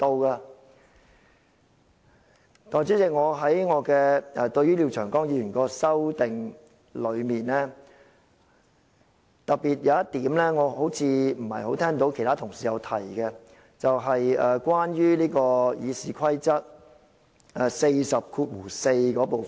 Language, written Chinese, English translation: Cantonese, 代理主席，廖長江議員的決議案提出的修訂中有一點，我不太聽到其他同事提到，便是關於《議事規則》第404條的部分。, Deputy President I find one of the amendments proposed in Mr Martin LIAOs resolution rarely discussed by other Members . It is about Rule 404 of the Rules of Procedure